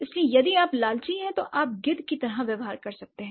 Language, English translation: Hindi, So, if you are greedy, you might behave like a vulture